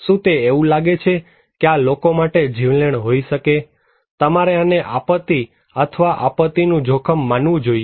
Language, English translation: Gujarati, Does it look like that this could be fatal for the people, should you consider this is as disaster or disaster risk